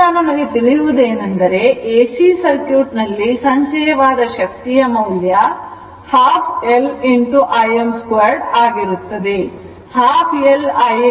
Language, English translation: Kannada, So, whatever we know that in an AC circuit, we know that energy stored is half L I m square